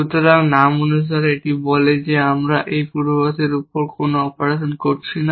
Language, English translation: Bengali, So, as a name suggest, it says that no operation we are doing on this predicate